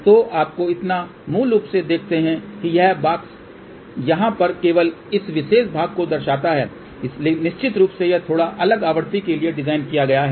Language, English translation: Hindi, So, just you give you so basically what this box shows only this particular portion over here, of course this is designed for slightly different frequency